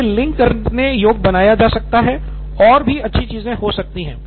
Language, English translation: Hindi, It could be made linkable and also good things can happen